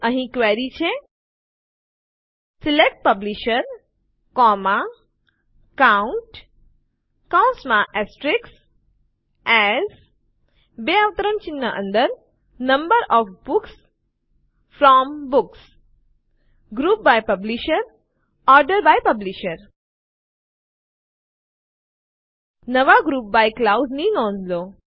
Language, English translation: Gujarati, Here is the query: SELECT Publisher, COUNT(*) AS Number of Books FROM Books GROUP BY Publisher ORDER BY Publisher Notice the new GROUP BY clause